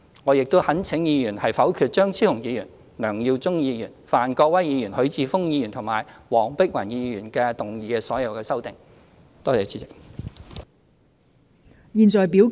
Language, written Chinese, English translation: Cantonese, 我亦懇請議員否決張超雄議員、梁耀忠議員、范國威議員、許智峯議員及黃碧雲議員提出的所有修正案。, I also implore Members to vote against all the amendments proposed by Dr Fernando CHEUNG Mr LEUNG Yiu - chung Mr Gary FAN Mr HUI Chi - fung and Dr Helena WONG